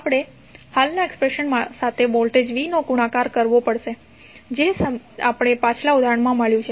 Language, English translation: Gujarati, You have to simply multiply voltage v with the current expression which you we got in the previous example